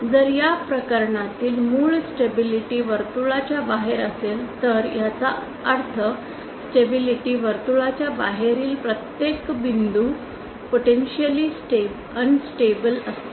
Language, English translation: Marathi, If the origin in this case will lie outside the stability circle that means every point outside the stability circle is potentially unstable